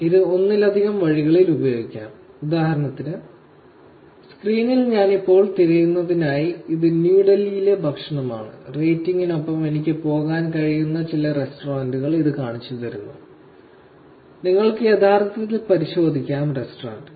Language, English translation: Malayalam, This can be used in multiple ways, for example, for the search that I have now on the screen, which is food in New Delhi and it is showing me some restaurants that I can go to with the rating and you can actually check into the restaurant